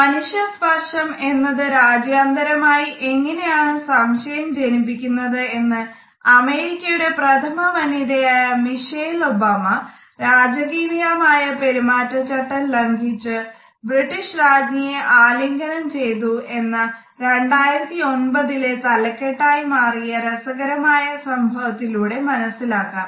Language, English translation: Malayalam, How human touch can initiate international confusions can be understood by this interesting event which made a headline in 2009, when Americas first lady Michelle Obama broke royal protocol on a visit to Britain and hug the Queen